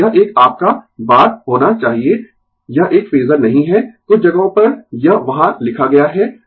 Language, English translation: Hindi, And this one should be your bar right it is not a phasor few places it is written there